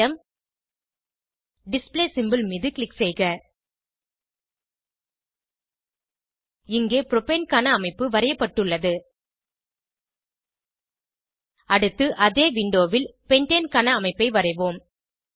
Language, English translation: Tamil, Right click Select Atom click on Display symbol Here the structure of Propane is drawn Lets next draw a pentane structure on the same window